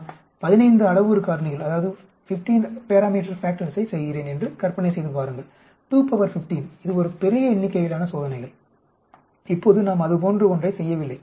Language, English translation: Tamil, imagine if I am doing a 15 parameters factors 2 raise to the power 15 that is a huge number of experiments now that won't do at all